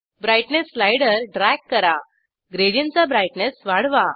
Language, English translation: Marathi, Drag the Brightness slider, to increase the brightness of the gradient